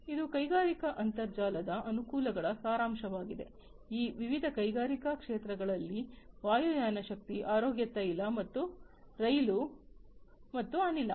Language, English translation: Kannada, This is a summary of the advantages of the industrial internet, in different industrial domains aviation power health oil and rail and gas